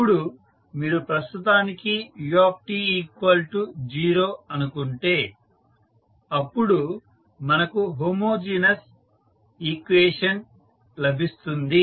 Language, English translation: Telugu, Now, if you assume for the time being that ut is 0 then we have homogeneous equation